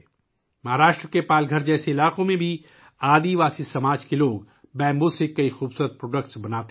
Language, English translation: Urdu, Even in areas like Palghar in Maharashtra, tribal people make many beautiful products from bamboo